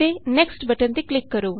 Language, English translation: Punjabi, Click on Next button